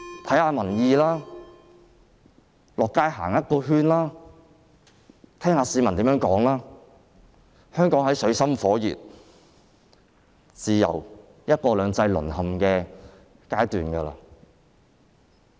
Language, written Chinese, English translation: Cantonese, 請看看民意，到街上走一圈，聽聽市民怎麼說，香港已處於水深火熱、自由和"一國兩制"淪陷的階段。, Please gauge public opinion by walking around the streets and listening to members of the public . Hong Kong is already at a stage where its people live in extreme misery and its freedoms and one country two systems are being eroded